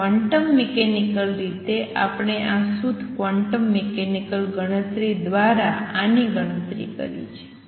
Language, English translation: Gujarati, So, quantum mechanically we have also calculated this through a purely quantum mechanical calculation